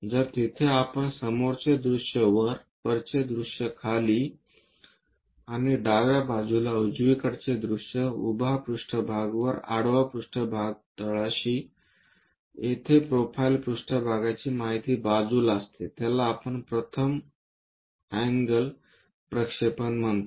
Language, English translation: Marathi, So, there we will be having a front view on top, a top view on the bottom, and a left side view on the right hand side, a vertical plane on top, a horizontal plane at bottom, a profile plane information at side that what we call first angle projection